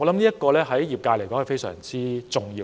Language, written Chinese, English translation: Cantonese, 主席，這對業界來說非常重要。, President this will be vital to the trade